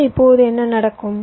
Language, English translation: Tamil, so now what will happen